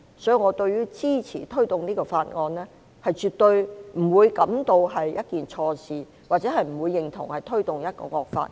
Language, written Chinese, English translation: Cantonese, 所以，我對於支持推動這項法案，絕對不感覺是一件錯事，亦不認同是推動一項惡法。, Therefore I absolutely do not feel it is wrong to support the promotion of this bill nor do I agree that it is promoting a draconian law